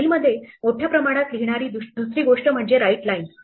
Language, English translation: Marathi, The other thing which writes in bulk to a file is called writelines